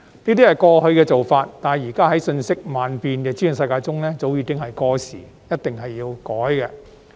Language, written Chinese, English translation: Cantonese, 那是過去的做法，但在現時瞬息萬變的資訊世界中早已過時，一定要改。, That was the practice of the past yet has already become obsolete long ago in the present fast - changing information world . That must indeed be changed